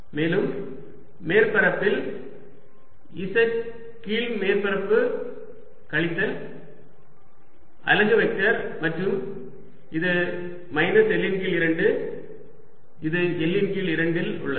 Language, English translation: Tamil, and on the top surface z, bottom surface, minus unit vector, and this is at minus l by two and this is at l by two